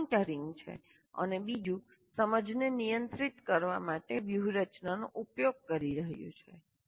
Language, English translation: Gujarati, So one is you should be able to monitor and the other one use strategies to regulate understanding